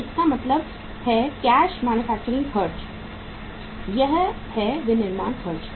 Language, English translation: Hindi, So it means cash manufacturing expenses